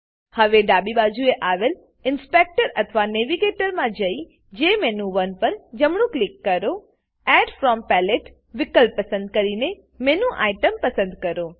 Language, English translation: Gujarati, Now in the Inspector or the navigator on the left side , right click on JMenu1 , Choose Add From Palette option and Select Menu Item